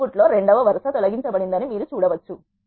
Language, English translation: Telugu, You can see that in the output the row 2 is deleted